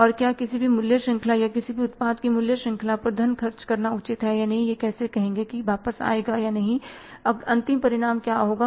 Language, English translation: Hindi, Everywhere you need the funds and whether it is worthwhile to spend the funds on any value chain or any products value chain or not, how it will be say responding back, what will be the end result